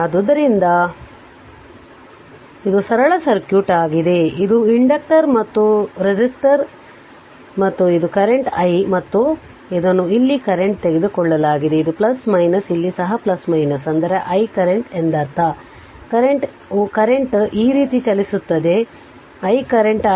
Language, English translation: Kannada, So, this is the simple circuit this is inductor and this is resistor and this is the current i right and it is taken current your here it is plus minus here also it is plus minus, I mean I mean current is ah current is moving like this this is current i right